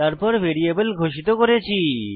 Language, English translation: Bengali, Then we declare the variables